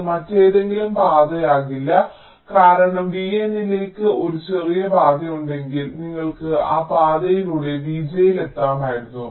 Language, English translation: Malayalam, only it cannot be some other path, because if there is a shorter path up to v n, then you could have reached v j via that path